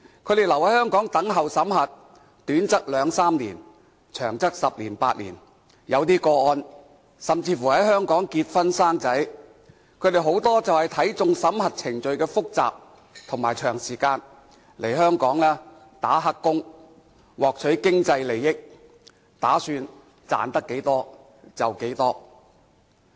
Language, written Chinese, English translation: Cantonese, 他們留在香港等候審核，短則兩三年，長則十年八年，在一些個案中，聲請者甚至乎在香港結婚生子，他們很多都是看中審核程序複雜和長時間，來香港做"黑工"，獲取經濟利益，打算賺到多少便多少。, Their stay in Hong Kong pending screening can be two or three years or even eight or ten years . In some cases some claimants even get married and give birth to children in Hong Kong . Many of them know that screening procedures are complicated and prolonged so they come to Hong Kong to take up illegal employment in an attempt to get as much financial gain as possible